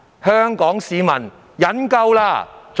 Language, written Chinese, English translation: Cantonese, 香港市民忍夠了！, The people of Hong Kong have had enough!